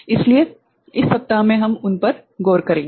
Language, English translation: Hindi, So, in this week we shall look into them right